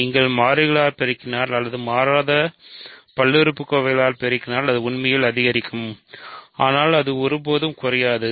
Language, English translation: Tamil, If you multiply by constants or it will actually increase if you multiply by non constant polynomials, but it will never decrease